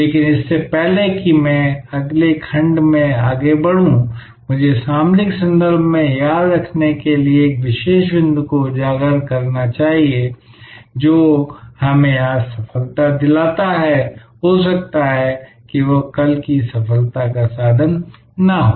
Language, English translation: Hindi, But, when before I progress to the next section, I must highlight one particular point to remember in the strategic context, that what gives us success today, may not be the tool for success tomorrow